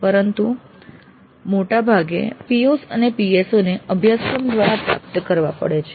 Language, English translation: Gujarati, So attainment of the POs and PSOs have to be attained through courses